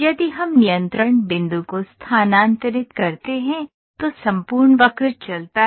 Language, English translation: Hindi, If we are control point is moved, the entire curve moves